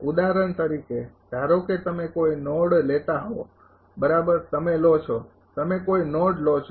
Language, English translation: Gujarati, For example, suppose you take any node right you take a you take any node